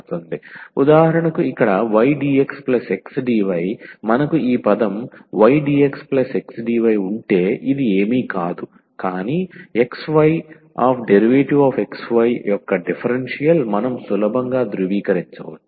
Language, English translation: Telugu, For instance, here y dx plus x dy if we have this term y dx plus x dy then this is nothing, but the differential of xy and we can verify easily